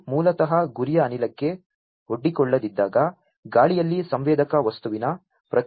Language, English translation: Kannada, This is basically the resistance of the sensor material in air when it is not exposed to the target gas